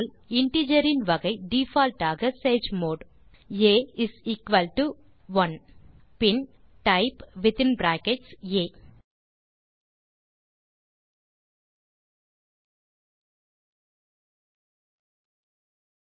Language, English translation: Tamil, The type of the integer in default Sage mode is a is equal to 1 Then type within brackets a